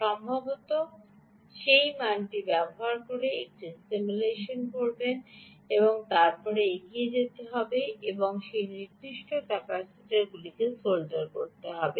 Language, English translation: Bengali, perhaps do a simulation using that value and then go ahead and actually solder that particular capacitor